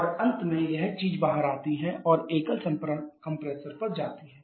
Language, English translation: Hindi, And finally this thing comes out and goes to the single compressor